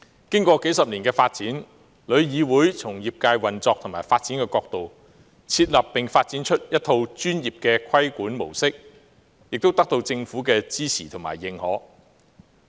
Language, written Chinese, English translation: Cantonese, 經歷數十年發展，旅議會從業界運作和發展的角度，設立並發展出一套專業的規管模式，亦得到政府的支持和認可。, After decades of development TIC has established and developed a professional regulatory model from the perspectives of operation and development of the industry which is supported and recognized by the Government